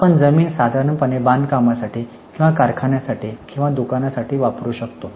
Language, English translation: Marathi, You buy land generally you use it for construction purposes or you may use it for factory or you may use it for your shop